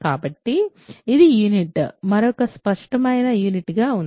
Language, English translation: Telugu, So, it is unit, there is another obvious unit